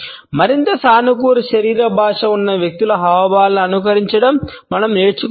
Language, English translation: Telugu, We can learn to emulate gestures of people who have more positive body language